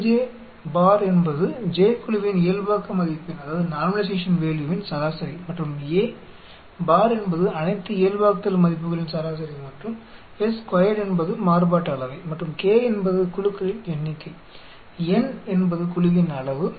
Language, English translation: Tamil, a j bar is a mean of the normalization value for the jth group and a bar is the mean of all the normalization values and s 2is the variance and k is the number of groups, n is the size of the group